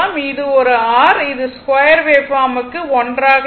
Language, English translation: Tamil, So, for form factor for your square waveform it is 1 right